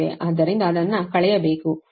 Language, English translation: Kannada, so we have taken that